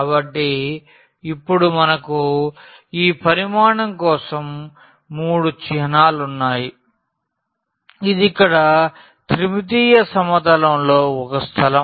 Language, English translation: Telugu, So, we have now the 3 symbols for this integral over that volume here which is a space in region in the 3 dimensional plane